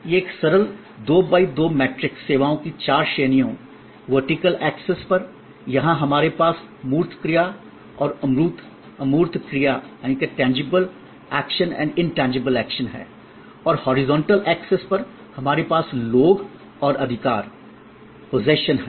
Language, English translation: Hindi, This is a simple 2 by 2 matrix, four categories of services, on the vertical axis here we have tangible action and intangible action and on the horizontal axis, we have people and possession